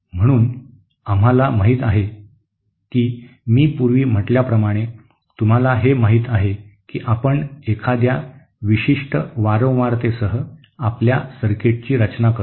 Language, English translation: Marathi, So we know that as I was saying before that you know we design our circuit with at a particular frequency